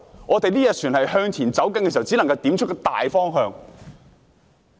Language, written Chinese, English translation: Cantonese, 我們這條船向前行駛時，只能點出大方向。, We can only point out the main direction for this ship of ours to sail forward